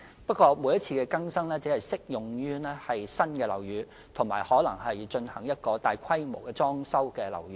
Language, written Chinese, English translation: Cantonese, 不過，每次經更新的規定只適用於新建樓宇及進行大規模維修的樓宇。, The updated requirements however will only apply to buildings which are newly - built or substantially renovated